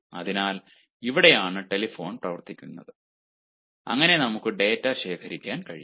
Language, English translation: Malayalam, so it is here that telephone comes into being and we can collect data